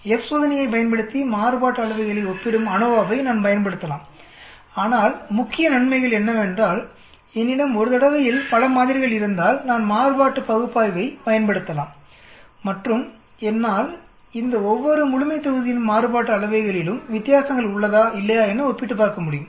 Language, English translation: Tamil, I can use an ANOVA which compares variances using the F test, but the main advantages if I have many samples in 1 shot, I can use the analysis of variance and I can compare and see whether there are differences in the variances of each of these population or not